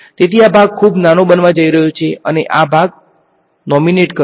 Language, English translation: Gujarati, So, this part is going to become very small and this part will nominate right